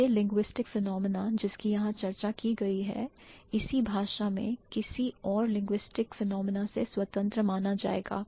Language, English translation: Hindi, The linguistic phenomenon that has been discussed here is going to be considered independent of any other linguistic phenomenon in the same language